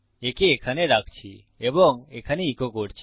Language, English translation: Bengali, Putting it here and echoing it out here